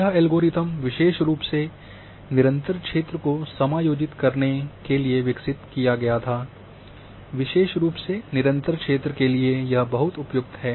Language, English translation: Hindi, This algorithm was specifically designed to accommodate continuous area; especially for continuous area this is very suitable